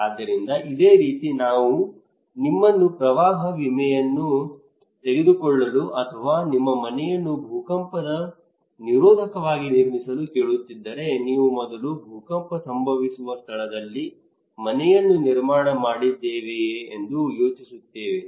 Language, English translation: Kannada, So similarly if I am asking you to take a flood insurance or to build your house earthquake resistant, you will first think am I at a place where earthquake is happening, is it really prone to earthquake right